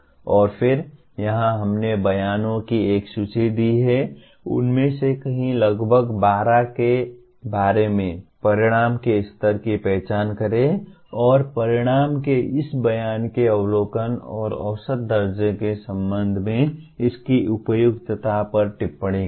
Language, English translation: Hindi, And then here we have given a list of statements, several of them about 12 of them, identify the level of outcome and comment on its appropriateness with respect to observability and measurability of this statement of the outcome